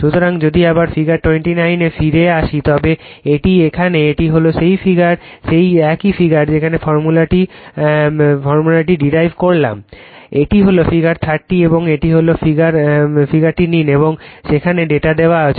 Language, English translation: Bengali, So, if you come back to figure 29 it is here , this is the , just hold on, is just the same figure where where you have derive the formula right this is the figure 30 and this is your this is the figure in this figure right